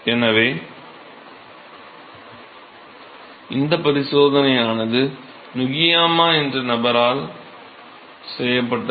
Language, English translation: Tamil, So, what was observed this experiment was done by person name Nukiyama